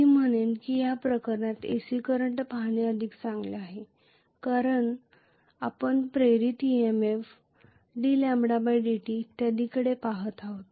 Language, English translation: Marathi, I would say it is better to look at an AC current in this case because we are looking at the induced EMF, d lambda by dt and so on and so forth